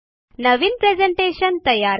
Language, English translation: Marathi, Create new presentation